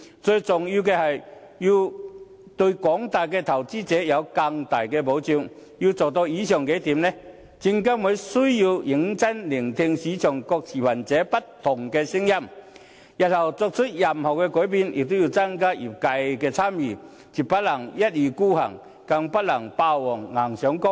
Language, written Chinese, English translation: Cantonese, 最重要的是，對廣大投資者提供更大的保障，要做到以上數點，證監會需要認真聆聽市場各持份者不同的聲音，日後作出任何改變，也要增加業界的參與，絕不能一意孤行，更不能霸王硬上弓。, Most importantly it should provide greater protection to investors at large . To achieve these objectives SFC must listen to the voices of different stakeholders in the market . In the future it must engage members of the industry when making any changes and abstain from forcing its decisions onto the industry